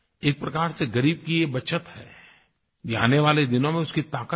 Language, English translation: Hindi, In a way, this is a saving for the poor, this is his empowerment for the future